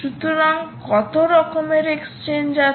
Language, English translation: Bengali, so what are the type of exchanges